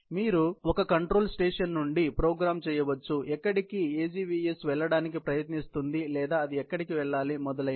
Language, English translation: Telugu, You can program from a control station, where the AGVS trying to go or it has to go so on and so forth